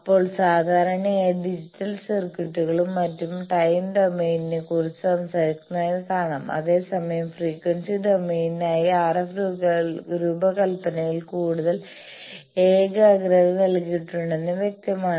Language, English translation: Malayalam, Then generally it is seen that digital circuits, etcetera they talk of time domain whereas, it is apparent that more concentration is given in RF design for frequency domain